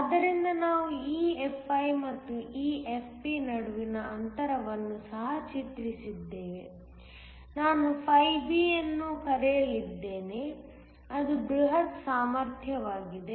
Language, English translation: Kannada, So, we also have drawn EFi, the gap between EFi and EFP, I am going to call φB which is the bulk potential